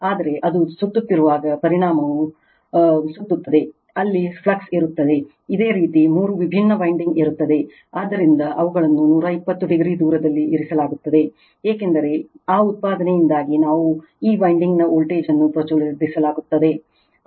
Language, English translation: Kannada, But, as it is revolving the magnitude is revolving there will be flux that there your what we call in this your three different winding, so which are placed 120 degree apart right, because of that output that your what we call the voltage will be induced in this winding